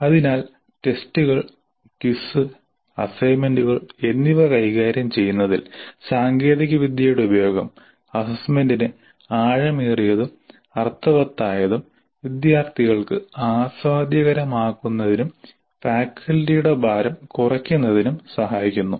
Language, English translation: Malayalam, So it can be seen that the use of technology in administering test, quiz assignments all this can make the assessment both deeper and meaningful, enjoyable to the students and reduce the burden on the faculty